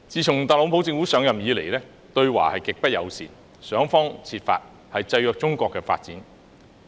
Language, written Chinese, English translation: Cantonese, 自特朗普政府上任以來，對華極不友善，想方設法制約中國的發展。, Since the TRUMP Administration assumed office it has been extremely unfriendly to China trying every means to restrain the development of the latter